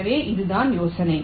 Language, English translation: Tamil, ok, so this the idea